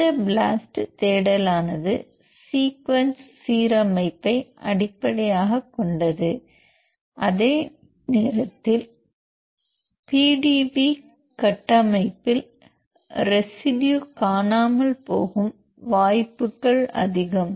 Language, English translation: Tamil, Because this sequence this is blast search is based on the sequence alignment, while even the PDB the chances for having missing residual PDB structure is high